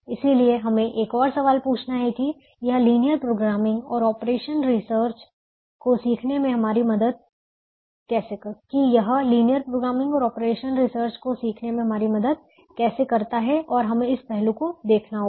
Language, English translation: Hindi, so we have to ask another question: how is this going to help us in our learning of linear programming and operations research